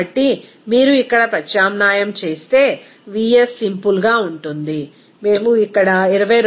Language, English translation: Telugu, So, if you substitute here vs will be equal to simply, we can say that here 22